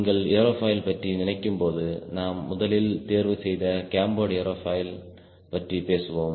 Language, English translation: Tamil, when you think of aerofoil, first of all we are picking, lets say, cambered aerofoil